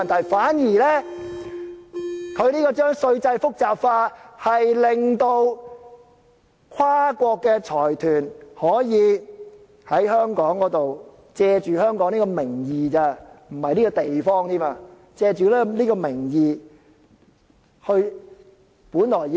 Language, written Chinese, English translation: Cantonese, 相反，將稅制複雜化，令跨國財團可以在香港，借香港的名義，不是借這個地方，而是借這個名義來......, On the contrary this complication of the tax system allows transnational consortium to use Hong Kongs name not this place but our name only to let me borrow an analogy from our colleagues to allow those who have earned too much those who are too fat to put on socks themselves to earn further